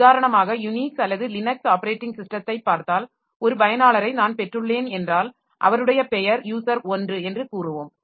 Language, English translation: Tamil, Like if you look into for example the Unix or Linux operating system, so you will be finding that whenever suppose I have got a user who is who is name is user 1